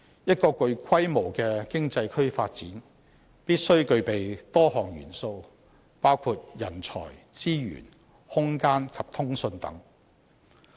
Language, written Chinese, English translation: Cantonese, 一個具規模的經濟區發展，必須具備多項元素，包括人才、資源、空間及通訊等。, The development of a sizable economy requires a number of factors including talent resources space and communication etc